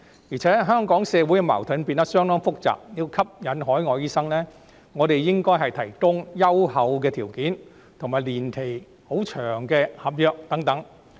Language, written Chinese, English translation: Cantonese, 而且，香港社會的矛盾變得相當複雜，要吸引海外醫生，我們應該提供優厚的條件，以及年期十分長的合約等。, Besides the social conflicts in Hong Kong have become rather complicated . To attract overseas doctors we should offer generous terms and a very long - term contract etc